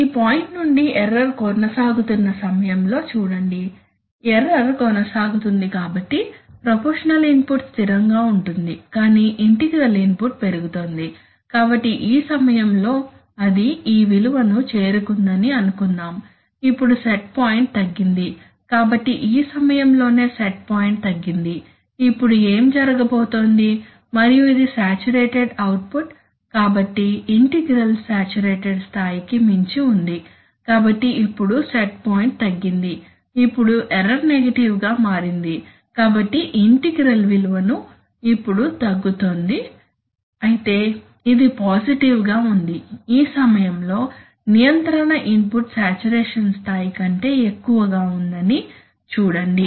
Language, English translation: Telugu, That, see during the time when the error is persisting say from this point, the error is persisting so the proportional input is remaining constant but the integral input is growing, so suppose at this time it has reached this value, now the set point is reduced, so it is at this point that the set point is reduced, now what is going to happen and this is the saturated output, so the integral is way beyond the saturated level, so now that it is the set point is reduced, now the error has become negative, so the integral value is now reducing but still it is positive, see at this point ,at this point the control input is still greater than the saturated level